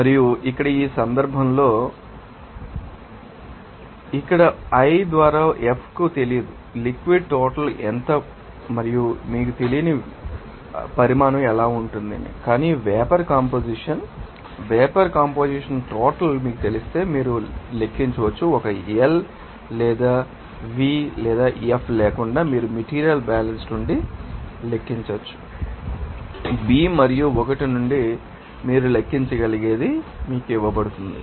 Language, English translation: Telugu, And here in this case, we can write So, here l by F is unknown to you, what would be the amount of liquid and got to be the amount of faith it is not known to you, but if you know that vapor composition, amount of vapor composition, then you can calculate what you know if an L or what without L, V, F also you can calculate from the material balance or if is given to you what from the B and l that also you can calculate